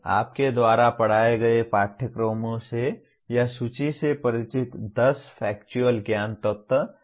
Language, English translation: Hindi, From the courses you taught or familiar with list 10 Factual Knowledge Elements